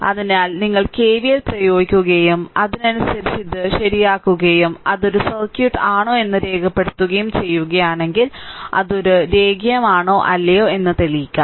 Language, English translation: Malayalam, So, we apply KVL and accordingly you solve this one right and prove that whether it a circuit is a linear or not